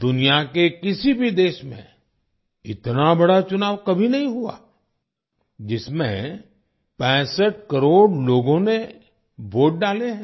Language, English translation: Hindi, An election as big as this, in which 65 crore people cast their votes, has never taken place in any other country in the world